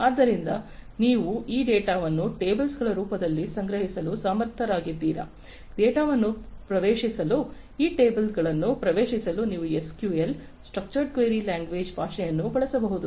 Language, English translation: Kannada, So, if you are able to store this data in the form of tables, so you can use a language like SQL, Structured Query Language to query these tables to access the data, that are stored in them